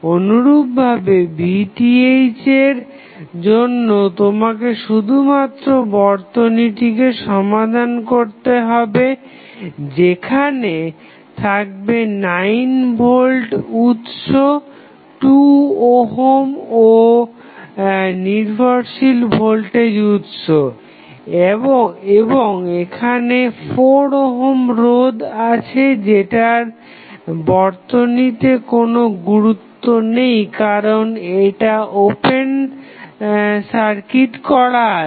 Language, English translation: Bengali, Similarly, for Vth what you have to do you have to just solve this circuit where you have 9 volt supply 2 ohm and you have resistance then you have dependent voltage source and here you have 4 ohm resistance which does not have any impact because the terminal is open circuited